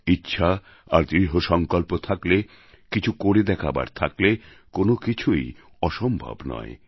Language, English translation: Bengali, If one possesses the will & the determination, a firm resolve to achieve something, nothing is impossible